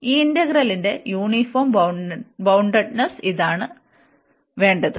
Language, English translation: Malayalam, And this is what we we want for uniform boundedness of this integral now